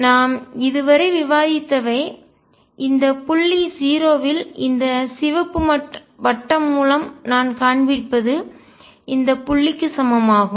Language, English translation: Tamil, Then what we have discussed So far is this point at 0 which I am showing by red circle is equivalent to this point